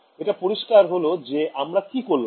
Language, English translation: Bengali, So, it is clear what we did right